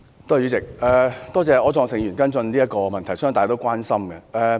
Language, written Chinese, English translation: Cantonese, 多謝柯創盛議員跟進這項問題，相信是大家也關心的。, I thank Mr Wilson OR for following up this question about which I believe we are all concerned